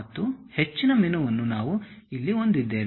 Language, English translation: Kannada, And most of the menu we will be having here